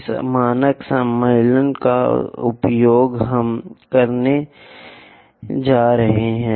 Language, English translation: Hindi, There is this standard convention what we are going to use